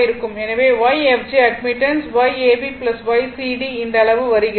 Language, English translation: Tamil, So, Y fg admittance, Y ab plus Y cd this much is coming